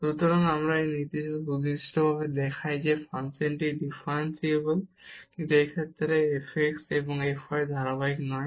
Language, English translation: Bengali, So, this example precisely shows that the function is differentiable, but f x and f y are not continuous in this case